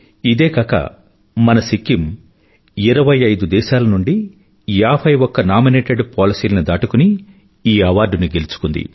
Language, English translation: Telugu, Not only this, our Sikkim outperformed 51 nominated policies of 25 countries to win this award